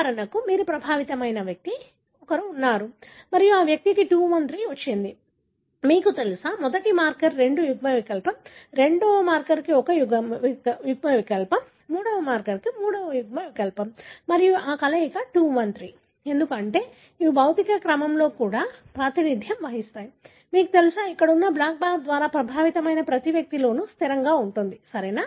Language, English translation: Telugu, For example, you have an individual here who is affected and this individual has got 2 1 3, you know, 2 allele for the first marker, 1 allele for the second marker, 3 allele for the third marker and this combination 2 1 3, because these are in the physical order that is also represented by, you know, by the black bar there, is invariably present in every individual that are affected, right